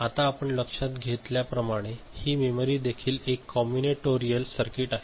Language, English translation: Marathi, Now, as we have noted so, this memory is also is a combinatorial circuit right